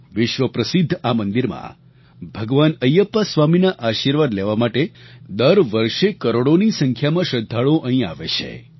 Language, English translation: Gujarati, Millions of devotees come to this world famous temple, seeking blessings of Lord Ayyappa Swami